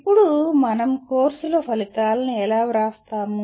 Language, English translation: Telugu, Now how do we write the outcomes of courses